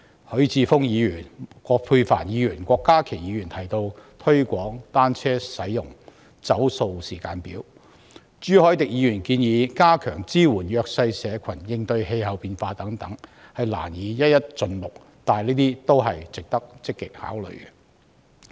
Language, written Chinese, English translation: Cantonese, 許智峯議員、葛珮帆議員和郭家麒議員提及推廣單車使用、"走塑"時間表；朱凱廸議員建議加強支援弱勢社群應對氣候變化等，我難以一一盡錄，但這些都是值得積極考慮的意見。, Mr HUI Chi - fung Dr Elizabeth QUAT and Dr KWOK Ka - ki propose promoting the use of bicycles and formulating a plastic - free timetable; and Mr CHU Hoi - dick proposes stepping up support to the disadvantaged in coping with climate change . I find it difficult to list all their proposals but all of these proposals are worthy of active consideration